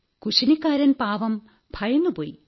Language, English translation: Malayalam, The poor cook was frightened